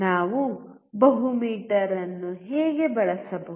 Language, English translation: Kannada, How we can use multi meter